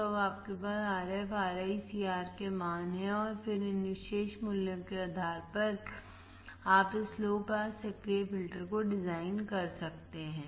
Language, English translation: Hindi, So, now, you have value of Rf, Ri, C, R and then, based on these particular values you can design this low pass active